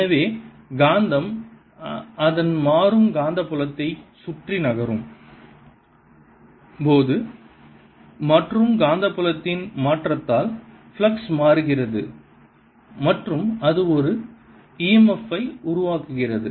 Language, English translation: Tamil, so as the magnet is moving around, its changing the magnetic field and the change in the magnetic field changes the flux and that generates an e m f